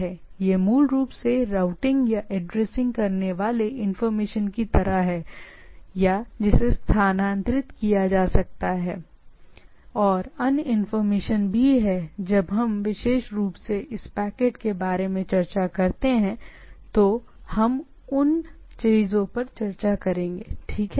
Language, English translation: Hindi, It’s basically for the routing or addressing informations, where I am going type of things, or where to where I am it is moving and there are other informations which are there in the things when we particularly discuss about this packets then we’ll be discussing those things right like